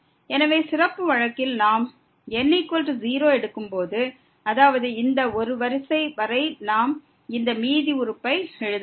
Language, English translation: Tamil, So, in the special case when we take is equal to 0 so that means, this up to the order one we have to write this reminder term